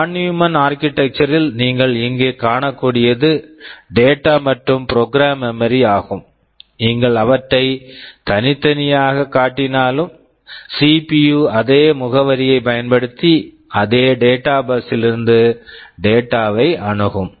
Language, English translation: Tamil, In a Von Neumann architecture as you can see here are the data and program memory; although you are showing them as separate, but CPU is accessing them over the same data bus using the same address